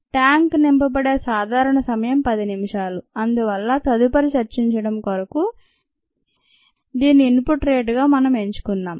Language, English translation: Telugu, a typical time in which the tank gets filled is about ten minutes and therefore let us choose this as the input rate for further discussion